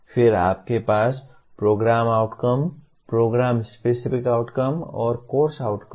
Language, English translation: Hindi, Then you have Program Outcomes, Program Specific Outcomes and Course Outcomes